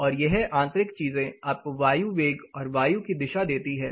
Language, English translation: Hindi, Then these particular internal things this gives you the wind speed and wind direction